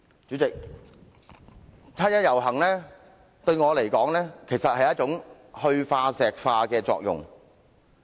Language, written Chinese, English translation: Cantonese, 主席，七一遊行對我來說，其實有"去化石化"的作用。, President the 1 July march actually produces the effect of defossilization on me